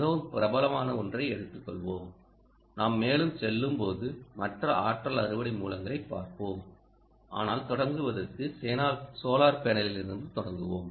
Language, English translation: Tamil, ok, um, lets take something that is very popular and we will, as we go along, let us look at other energy harvesting sources, but for to begin with, let us start with, ah, the solar panel